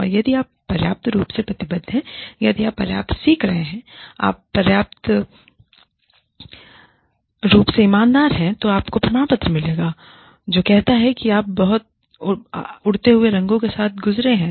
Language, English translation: Hindi, And, if you are committed enough, if you are learning enough, if you have been sincere enough, you will get a certificate, that says that, you passed with flying colors